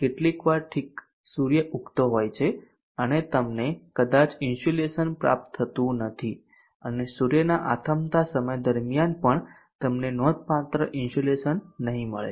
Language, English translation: Gujarati, sometimes okay Sun is just rising and what you may not receive significant insulation and even during at this time zone where Sun is setting you may not have significant insulation